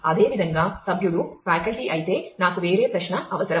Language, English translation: Telugu, Similarly, if the member is a faculty I need a different query